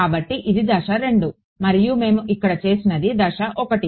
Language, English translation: Telugu, So, this was step 2 and what we did over here was step 1